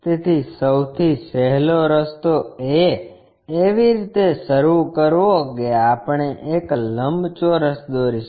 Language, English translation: Gujarati, So, the easiest way is begin it in such a way that we will be drawing a rectangle